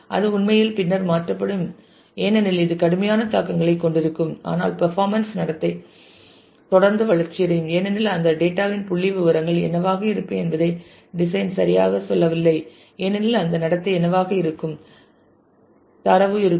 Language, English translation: Tamil, And it is really it will really be changed later because it will have severe implications, but the performance behavior will continue to evolve will continue to change because the design does not tell you exactly what the statistics of that data would be what the behavior of the data would be